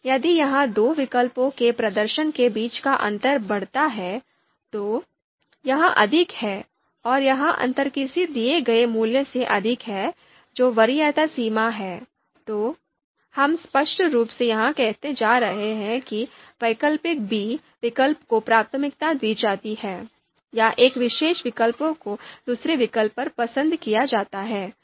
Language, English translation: Hindi, So if the difference you know between the performance of two alternatives it grows, it is higher, and this you know difference is higher than a given value which is preference threshold, then we are you know clearly going to say that a alternative a is preferred over alternative b or one particular alternative is preferred over the you know other alternative